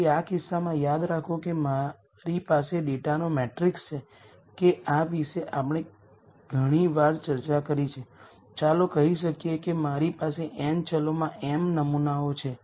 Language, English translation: Gujarati, So, in this case remember if I have a matrix of data this we have discussed several times let us say I have m samples in n variables